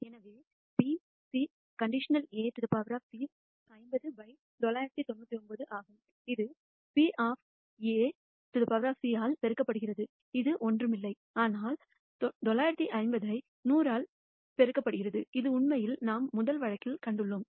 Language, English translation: Tamil, So, the probability of C given A complement is 50 by 999 multiplied by the probability of A complement which is nothing, but 950 by 1,000, which we have actually shown in the first case